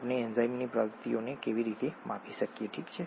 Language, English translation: Gujarati, How do we quantify the activity of the enzyme, okay